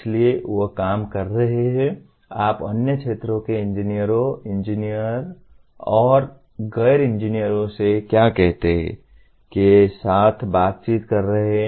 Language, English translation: Hindi, So they are working, interacting with what do you call engineers from, engineers or non engineers from other areas